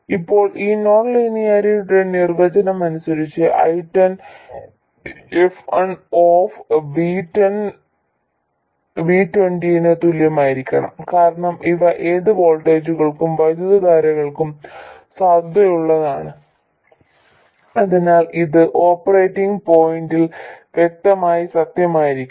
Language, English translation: Malayalam, Now, by definition of this non linearity, I 10 has to be equal to F1 of V1 and V20 because these are valid for any voltages and currents, so it clearly has to be true at the operating point and I20 will be F2 of V10 and V2 0